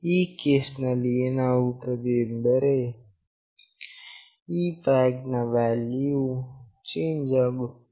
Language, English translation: Kannada, In that case, what will happen is that this flag value will change